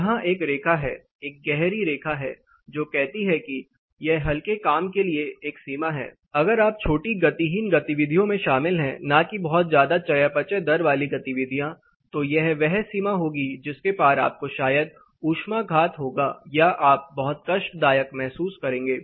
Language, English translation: Hindi, There is a line here, a dark line here which says this is one limit for light verge if you are involved in light sedentary activity not very high metabolic rate, then this will be the limit beyond which you will probably get a heat stroke or you will be really uncomfortable